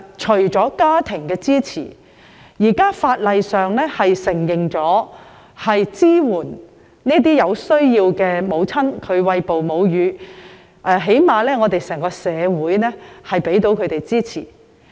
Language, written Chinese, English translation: Cantonese, 除了家庭的支持外，現時法例亦承諾支援有需要餵哺母乳的母親，最低限度整個社會也會給予她們支持。, Apart from family support the existing legislation also undertakes to support breastfeeding mothers so that at least the community at large is supportive to them